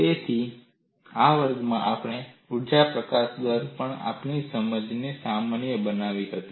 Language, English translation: Gujarati, So, in this class, we have generalized our understanding on energy release rate